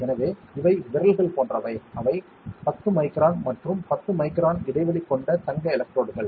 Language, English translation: Tamil, So, these are like fingers, they are 10 micron with and 10 micron spacing gold electrodes ok